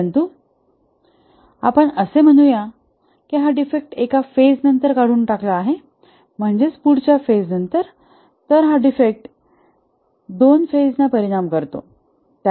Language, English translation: Marathi, But let's say the defect is removed after one phase, that is the next phase, then only two phases are affected